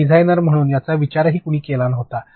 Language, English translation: Marathi, Because as a designer this was also thought of right somebody thought of it